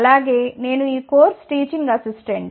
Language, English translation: Telugu, Also, I am a Teaching Assistant for this course